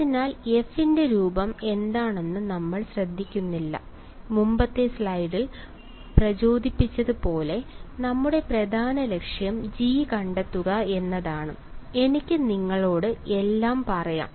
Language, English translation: Malayalam, So, we do not care what the form of f is ok, as motivated in the previous slide our main objective is find me g, I can tell you everything ok